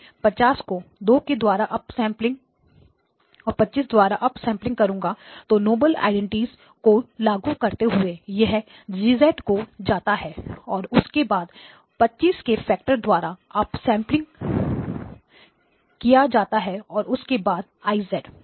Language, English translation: Hindi, I will implement 50 as an up sampling by 2 and up sampling by 25, so applying the noble identity this becomes G of z followed by up sampling by a factor of 25 then followed by I of z, okay